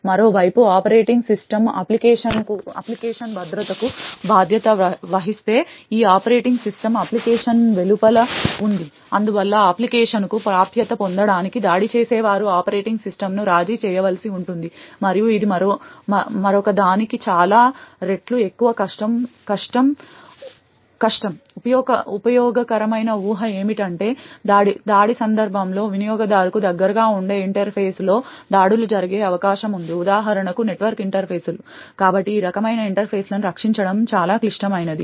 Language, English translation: Telugu, On the other hand if the operating system itself is responsible for the application security then this operating system is outside the application, thus the attacker would need to compromise the operating system to gain access to the application and this could be several times more harder another very useful assumption is that during an attack scenario, it is more likely that attacks occur in interface which are closer to the user for example the network interfaces, so therefore comparatively it would be more critical to protect these types of interfaces